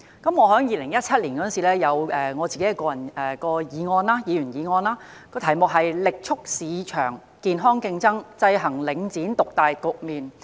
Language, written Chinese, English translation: Cantonese, 我在2017年曾提出一項議員議案，題為"力促市場健康競爭，制衡領展獨大局面"。, In 2017 I proposed a Members motion titled Vigorously promoting healthy market competition to counteract the market dominance of Link REIT